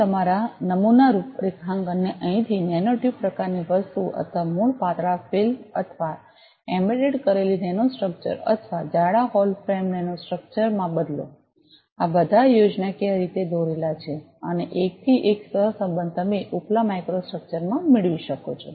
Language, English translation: Gujarati, And change your sample configuration from here to a nanotube kind of thing or a basic thin film, or a embedded nanostructure, or a thick hollow frame nanostructure, these are all schematically drawn and one to one correlation you can get in the upper micro structure